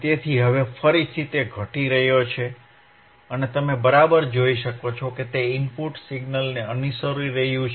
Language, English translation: Gujarati, So, now you are again, he is decreasing and you can see it is following the input signal